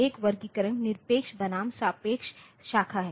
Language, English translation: Hindi, So, one classification was absolute versus relative branch